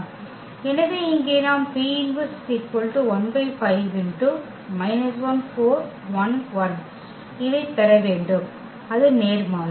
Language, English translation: Tamil, So, here we have to get this P inverse also, that is the inverse